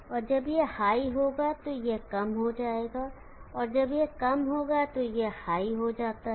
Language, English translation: Hindi, So when this is high this will become low, and when this is low that becomes high